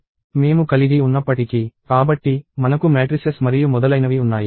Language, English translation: Telugu, So, even though I have; So, I have things like matrices and so on